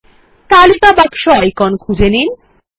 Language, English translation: Bengali, Let us find our list box icon